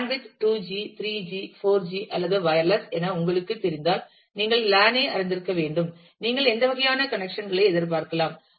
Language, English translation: Tamil, You have to consider what should be the band width should it be 2 G, 3 G, 4 G or wireless you know LAN, what kind of connections you would expect